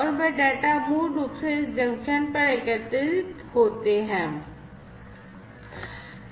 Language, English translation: Hindi, And those data are basically aggregated at this junction